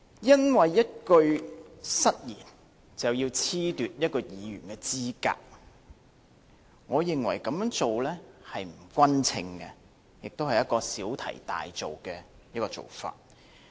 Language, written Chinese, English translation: Cantonese, 因為一句失言，便要褫奪一位議員的資格，我認為這樣做不勻稱，亦是小題大做。, I think to disqualify a Member for a single slip of tongue is unfair and making a fuss over trivial matter